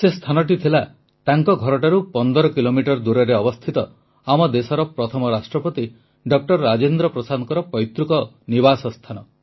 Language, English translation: Odia, The place was 15 kilometers away from her home it was the ancestral residence of the country's first President Dr Rajendra Prasad ji